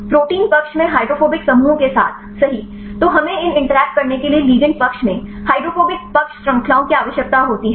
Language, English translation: Hindi, with the hydrophobic groups rights in the protein side, then we requires the hydrophobic side chains right in the ligand side to have these interactions